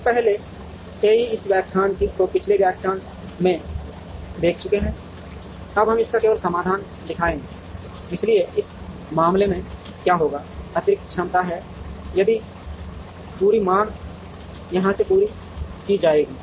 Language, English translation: Hindi, We have already see this formulation in the previous lecture, we will now show only the solution to it, so in this case, what will happen is since, there is additional capacity, this entire demand will be met from here